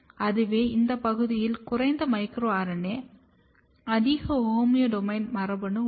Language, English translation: Tamil, This region has less micro RNA, more homeodomain gene